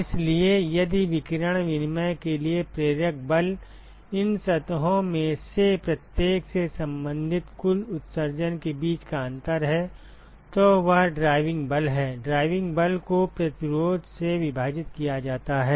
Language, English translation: Hindi, So, if the driving force for radiation exchange is the difference between the corresponding total emission from each of these surfaces, so that is the driving force, driving force divided by the resistance ok